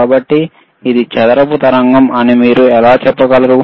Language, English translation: Telugu, So, how you can say it is a square wave or not